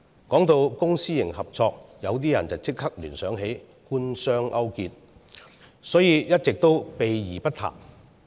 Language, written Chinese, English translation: Cantonese, 談到公私營合作，有些人會立即聯想到官商勾結，所以一直也避而不談。, Speaking of public - private partnership some people may immediately associate it with government - business collusion so they have all along shied away from talking about it